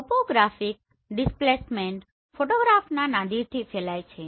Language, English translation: Gujarati, The topographic displacement they radiates from the Nadir of the photograph